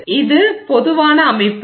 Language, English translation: Tamil, So, this is the general setup